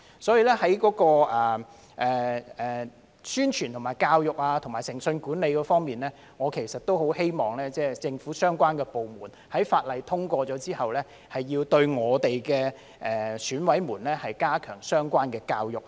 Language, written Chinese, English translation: Cantonese, 所以，在宣傳、教育和誠信管理方面，我很希望政府相關部門在《2021年完善選舉制度條例草案》通過後，對我們的選委加強相關的教育。, Therefore as regards publicity education and integrity management I very much hope that after the passage of the Improving Electoral System Bill 2021 relevant government departments will step up related education of our EC members